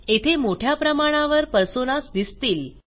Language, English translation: Marathi, We see a large number of personas here